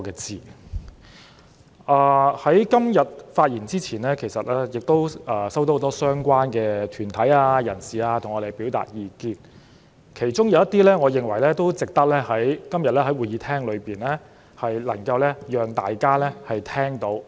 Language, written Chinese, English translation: Cantonese, 在我今天發言前，很多相關團體和人士曾向我們表達意見，而他們提出的一些憂慮，我認為值得今天在會議廳讓大家知道。, Before I speak today many interested groups and people have relayed their views to us . I think I should voice out some of their concerns in this Chamber today